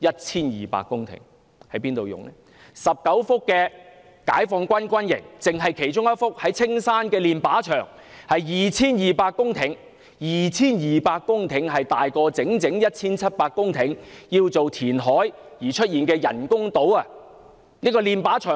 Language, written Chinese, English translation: Cantonese, 此外，有19幅解放軍軍營土地，單是一幅位於青山的練靶場土地，已達 2,200 公頃，這 2,200 公頃的土地已超過 1,700 公頃由填海建造的人工島土地。, Moreover there are 19 sites used by the Chinese Peoples Liberation Army Hong Kong Garrison and one of these sites of 2 200 hectares in Castle Peak is used as a firing range . This 2 200 - hectare site is larger in scale than the 1 700 - hectares of land created on the artificial islands by reclamation